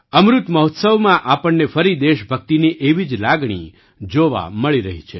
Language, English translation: Gujarati, We are getting to witness the same spirit of patriotism again in the Amrit Mahotsav